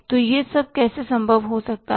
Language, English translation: Hindi, So, how this has all become possible